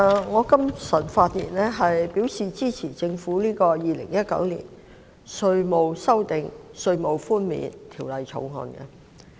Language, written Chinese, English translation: Cantonese, 我今早發言支持政府《2019年稅務條例草案》。, This morning I rise to speak in support of the Inland Revenue Amendment Bill 2019 the Bill of the Government